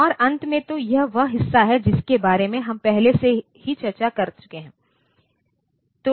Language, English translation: Hindi, And finally, so, this produces part we have already discussed